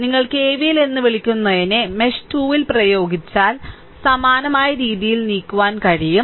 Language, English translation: Malayalam, If you apply KVL in mesh 2, so same way you can move